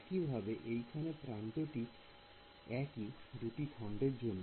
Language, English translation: Bengali, Similarly in this the edge is common to both elements